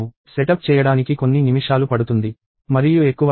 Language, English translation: Telugu, And it takes a few minutes to set up and not more